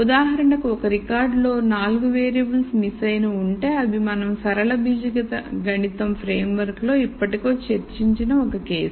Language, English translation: Telugu, If for example, there are 4 variables that are missing in a record then that is one case that we have discussed already in the linear algebra framework